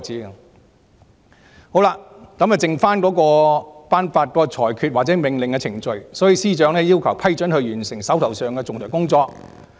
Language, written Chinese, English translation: Cantonese, 由於僅剩下頒發裁決或命令的程序，所以司長要求特首批准她完成手上的仲裁工作。, Since only the procedure of delivering judgment or issuing order was left the Secretary for Justice sought approval from the Chief Executive to finish the outstanding arbitration jobs